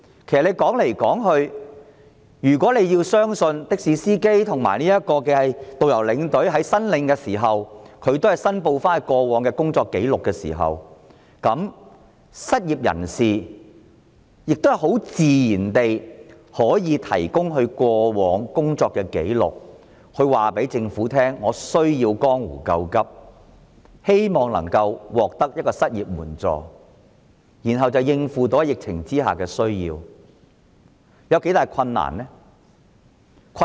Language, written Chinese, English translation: Cantonese, 其實，如果政府可以相信的士司機、導遊和領隊申領津貼所填報的工作紀錄，那麼失業人士自然也可以提供他們過往的工作紀錄，告訴政府他們需要江湖救急，希望獲得失業援助，以應付疫情下的需要，這有多大困難呢？, In fact if the Government trusts that taxi drivers tourist guides and tour escorts will provide in good faith their work records it should also trust that people who are unemployed will do the same so that they can tell the Government that they need urgent help to deal with the epidemic because of unemployment . How difficult is it?